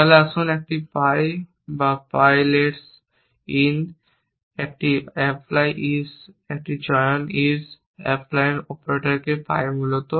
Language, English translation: Bengali, Then let us a pi 1 or pi gets lets in a apply is a choose is applies operator to pi essentially